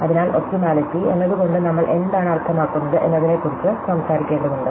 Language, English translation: Malayalam, So, we need to talk about what we mean by optimality